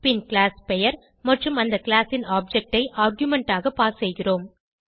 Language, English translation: Tamil, Then we pass arguments as class name and object of the class